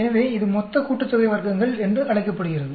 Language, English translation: Tamil, So, this is called the total sum of squares